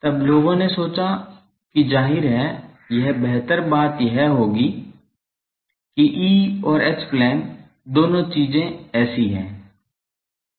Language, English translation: Hindi, Then people thought that to; obviously, a better thing will be that is both E and H plane things are there like this